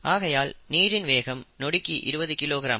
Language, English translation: Tamil, Remember, input rate is twenty kilogram per second